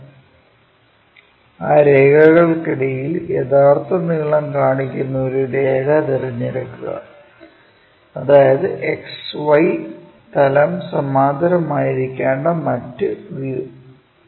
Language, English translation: Malayalam, Then, among all those lines, pick a line which is showing true length; that means, the other view supposed to be parallel to the XY plane